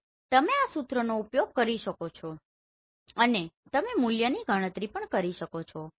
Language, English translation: Gujarati, So you can use this formula and you can calculate the value